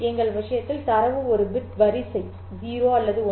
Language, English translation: Tamil, In our case, data is a bit sequence 0 or 1